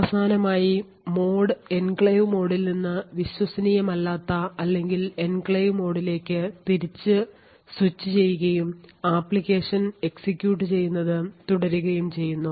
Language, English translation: Malayalam, And finally, the mode is switched back from the enclave mode back to the untrusted or the enclave mode and the application continues to execute